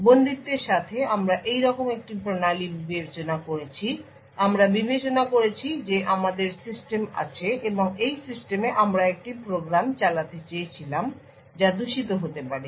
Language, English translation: Bengali, With the confinement we had considered a system like this, we had considered that we have system, and in this system, we wanted to run a program which may be malicious